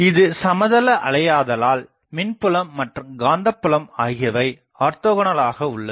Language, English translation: Tamil, Since, it is plane waves so, electric and magnetic fields are orthogonal to these